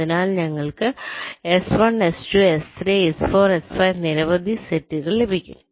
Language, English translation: Malayalam, so we will be getting s one, s, two, s three, s, four, s, five, many sets